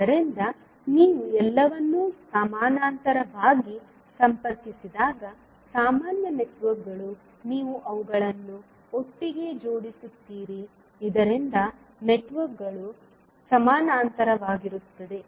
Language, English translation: Kannada, So when you connect all of them in parallel so the common networks you will tie them together so that the networks the sub networks will be in parallel